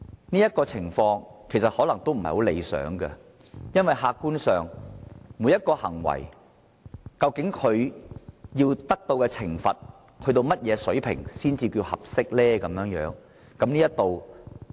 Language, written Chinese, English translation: Cantonese, 但這種情況其實可能不太理想，因為客觀上，究竟每種行為應處以何種水平的懲罰才算合適呢？, However this practice is not at all desirable . From an objective perspective what level of punishment is considered appropriate for each act?